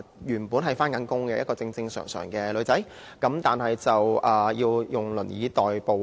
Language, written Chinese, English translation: Cantonese, 原本是有工作的正常女孩子，要以輪椅代步。, A normal girl who used to have a job has to get around in a wheelchair now